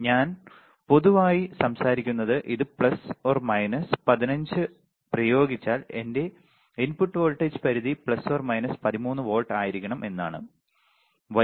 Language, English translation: Malayalam, This is in general we are talking about in general if I apply plus minus 15 my input voltage range should be around plus minus 13 volts